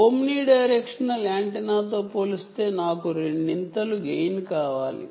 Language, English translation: Telugu, improvement with respect to the omni directional antenna is what the again